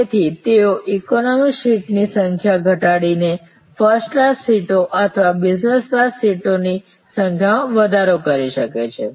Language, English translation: Gujarati, So, they can increase the number of first class seats or business class seats reducing the number of economy seats